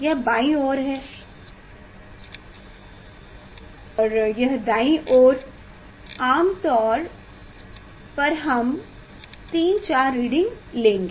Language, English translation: Hindi, It s a left side and this side take reading generally we will take two three 4 readings